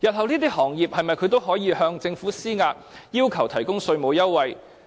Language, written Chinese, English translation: Cantonese, 這些行業日後是否都可以向政府施壓，要求提供稅務優惠？, Can all these industries also pressurize the Government one day and demand tax concession?